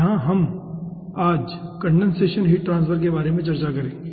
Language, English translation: Hindi, here today we will be discussing about condensation, heat transfer